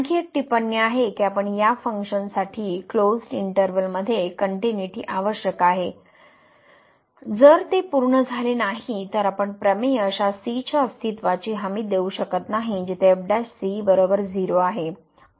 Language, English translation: Marathi, Another remark that the continuity condition which we have seen the continuity in the closed interval for this function is essential, if it is not met then we may not that the theorem may not guarantee the existence of such a where prime will be 0